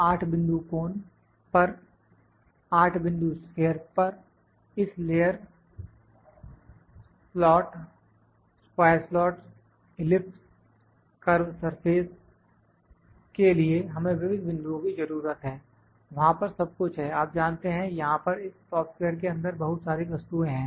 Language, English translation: Hindi, 8 points on cone, 8 points sphere; we need multiple points for this layer; slot, square slots, ellipse, curve surface, all is there you know there multiple objects here in this software